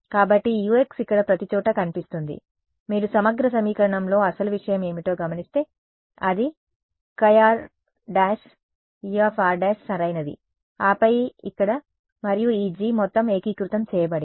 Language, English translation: Telugu, So, this U into x over here that appears everywhere if you notice in the integral equation what was the actual thing, it was chi r prime E of r prime right, and then the G over here and this whole thing was integrated